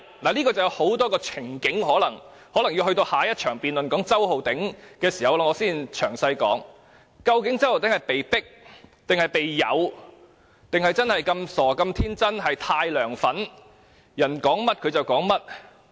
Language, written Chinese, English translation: Cantonese, 事情涉及很多情景，我可能要留待譴責周浩鼎議員的議案辯論才詳細說明，究竟周浩鼎議員是被迫、被誘，還是真的那麼傻和天真或太"梁粉"，人家說甚麼他便說甚麼。, As many scenarios are involved I may have to explain this issue in detail later at the debate on the motion censuring Mr Holden CHOW is Mr Holden CHOW being coerced or seduced to take that action; or is he so silly and naïve; or is he too much of a LEUNGs fan that he will do whatever LEUNG said